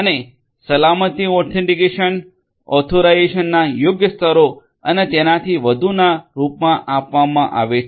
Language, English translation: Gujarati, And the security is offered in the form of authentication appropriate levels of authentication authorisation and so on